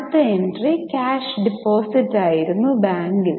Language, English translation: Malayalam, The next entry was cash deposited in bank